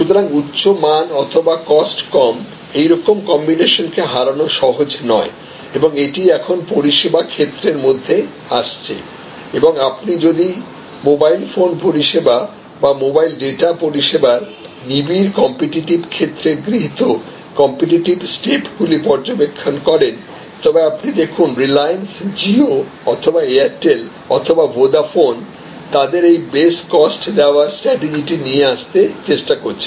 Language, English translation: Bengali, So, it is possible to offer that unassailable combination of low cost, high quality and this is now coming into services field and if you observe the competitive steps taken by in the intensive competitive field of say mobile phone services or mobile data services, you will see whether it is the reliance jio, whether it is Airtel, whether it is Vodafone their all trying to come up with this best cost providers strategy